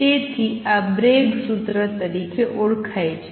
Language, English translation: Gujarati, So, this is known as Bragg formula